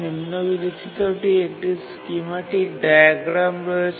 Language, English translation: Bengali, Now let's throw a schematic diagram